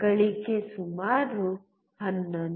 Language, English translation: Kannada, Gain is about 11